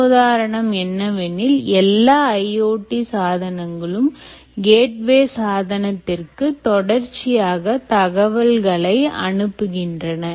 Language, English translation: Tamil, the paradigm is: i o t devices are continuously sending data to this gateway device